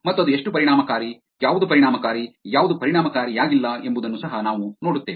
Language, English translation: Kannada, And we will also see how effective it was, which was effective, which was not effective